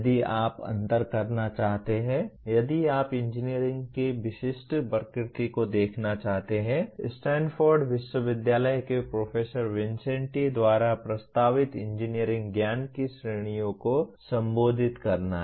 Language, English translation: Hindi, If you want to differentiate, if you want to see the specific nature of engineering one has to address the categories of engineering knowledge as proposed by Professor Vincenti of Stanford University